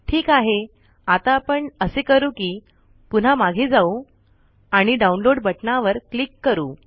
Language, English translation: Marathi, Alright, what we will do is, we will go back to this, click the download button